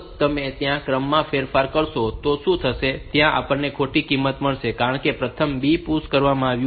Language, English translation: Gujarati, If you change the order, then what will happen is that we will get a wrong value, because first B has been pushed